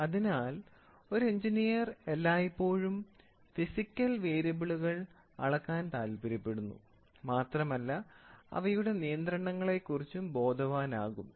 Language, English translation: Malayalam, So, an engineer is always interested to measure the physical variables and is all is concerned with their controls